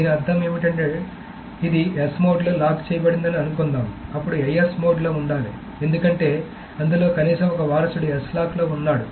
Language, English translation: Telugu, So what does this mean is that suppose this is locked in S mode, then R2 is supposed to be in an IS mode, because at least one of its descendant is in a S lock